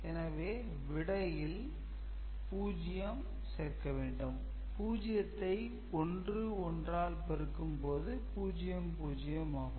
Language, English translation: Tamil, So, if you are multiplying 0 with 0